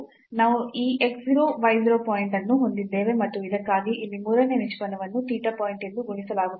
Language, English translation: Kannada, So, we will have this x 0 y 0 point and for this one the here the third derivative will be computed as theta point